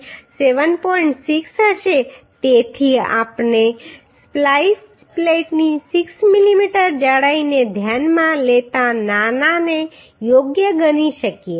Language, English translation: Gujarati, 6 therefore we can consider the smaller one right considering 6 mm thickness of splice plate So we are getting 66